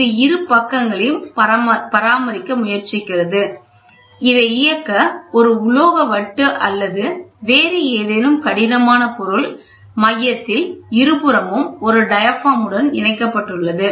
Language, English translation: Tamil, So, this tries to maintain both sides so, to enable this, a metal disc or any other rigid material is provided at the center with diaphragms on both sides